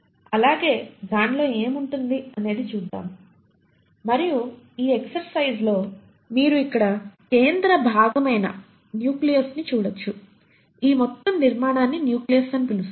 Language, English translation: Telugu, So let us look at the animal cell and what all it will contain and in this exercise you can see the central most part here is what you call as is the nucleolus, this entire structure is what you call as the nucleus